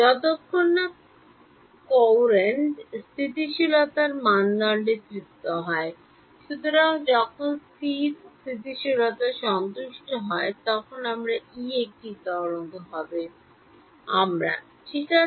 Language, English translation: Bengali, As long as the courant stability criteria is satisfied; so, when courant stability is satisfied my E will be a wave; we derived that ok